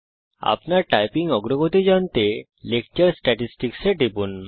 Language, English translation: Bengali, Click on Lecture Statistics to know your typing progress